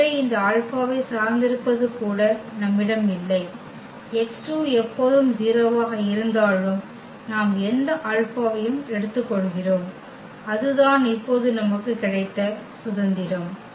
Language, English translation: Tamil, So, we do not have even dependency on this alpha, the x 2 is always 0 whatever alpha we take that is the freedom we have now